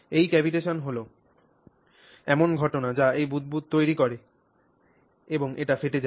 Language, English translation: Bengali, So, cavitation is this thing that this idea that it builds this bubble and then it just collapses